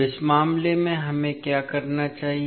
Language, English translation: Hindi, Now, in this case what we have to do